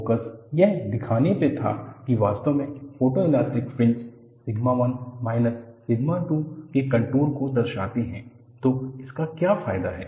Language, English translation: Hindi, The focus was to show that the photoelastic fringes indeed, represent contours of sigma 1 minus sigma 2